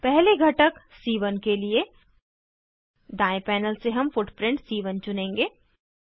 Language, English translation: Hindi, For the first component C1, we will choose the footprint C1 from right panel